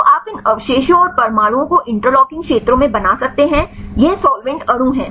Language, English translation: Hindi, So, you can make these residues and atoms in interlocking spheres, this is solvent molecule